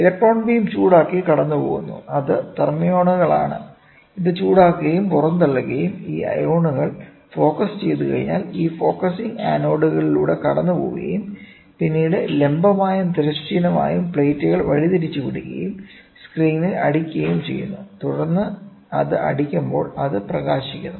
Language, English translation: Malayalam, Electron beam passes it heated, it is thermions it is heated ejected and once these ions are to be focused passes through this focusing anodes and then goes through deflecting plates vertical, horizontal and then hits on the screen, then when it hits it illuminates